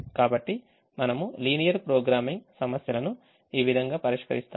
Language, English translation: Telugu, in this module we will solve linear programming problems using a solver